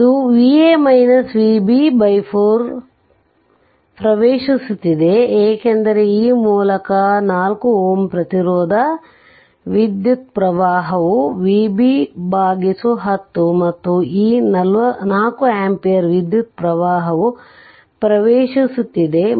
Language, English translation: Kannada, So, this current we saw it is entering V a minus V b by 4, because this 4 ohm resistance current through this is V b by 10 right and this 4 ampere current it is entering